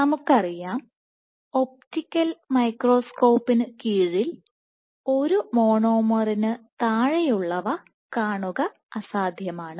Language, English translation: Malayalam, So, it is impossible to see a single monomer under an optical microscope